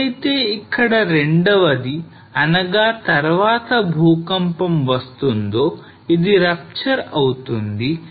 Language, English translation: Telugu, So when the second the next earthquake will come this will rupture